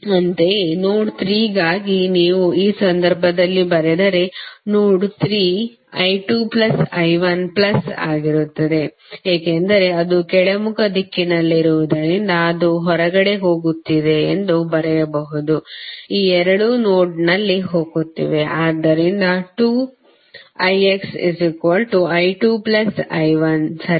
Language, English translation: Kannada, Similarly, for node 3 if you write in this case node 3 would be i 2 plus i 1 plus since it is in downward direction so you can write this is going out, these two are going in the node, so you can write 2 i X is equal to i 1 plus i 2, right